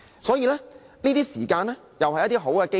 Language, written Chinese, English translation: Cantonese, 所以，現在是一個追問的好機會。, Hence this is a good chance to pursue the issue